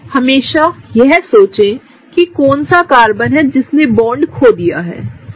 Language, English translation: Hindi, Always think about which is the Carbon that lost the bond, right